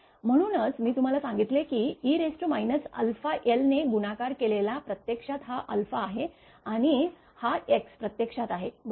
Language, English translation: Marathi, That is why in that I told you that that multiplied by e to the power minus alpha l actually alpha is this one and x is equal to actually that l right